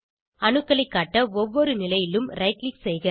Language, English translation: Tamil, Right click at each position to show atoms